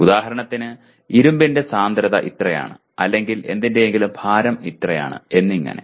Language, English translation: Malayalam, For example the density of iron is so much or the weight of something is so much